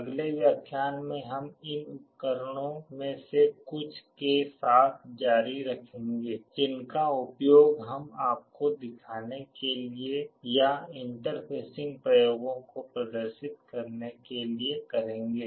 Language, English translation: Hindi, In the next lecture we shall be continuing with some more of these devices that we will be using to show you or demonstrate the interfacing experiments